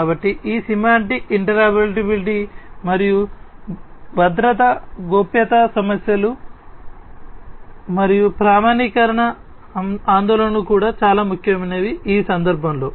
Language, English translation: Telugu, So, that is the semantic interoperability and; obviously, security and privacy issues and the standardization concerns are also very important, in this context